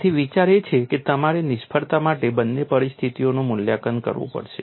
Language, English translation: Gujarati, So, the idea is, you have to assess both the conditions for failure